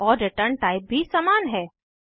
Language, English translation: Hindi, And the return type is also same